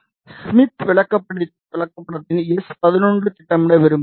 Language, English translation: Tamil, We want to plot the s 11 on the smith chart